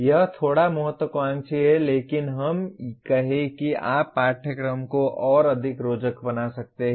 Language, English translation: Hindi, It is a bit ambitious but let us say you can make the course more interesting